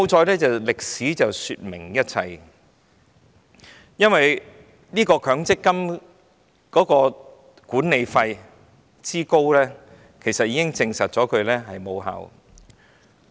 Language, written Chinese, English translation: Cantonese, 幸好歷史說明一切，因為強積金管理費之高已經證實強積金無效。, Fortunately history tells everything because the high management fees of MPF prove that MPF is not effective